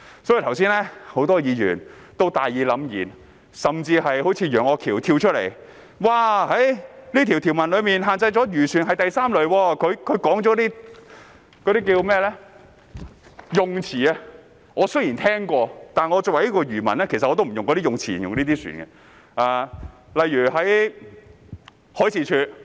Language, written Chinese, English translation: Cantonese, 多位議員剛才都大義凜然發言，一如楊岳橋議員般跳出來發言，指條文限制的漁船是第 III 類，他說的那些用詞，我雖然聽過，但作為漁民，我也不用那些用詞來形容這些船。, A number of Members spoke with a strong sense of righteousness and they simply jumped to the forefront like Mr Alvin YEUNG . Just now Mr YEUNG has said that restriction under the provision is applicable to Class III vessels . Though I have heard those terms he used I as a fisherman will not use those terms for such vessels